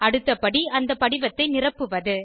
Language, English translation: Tamil, Next step is to fill the form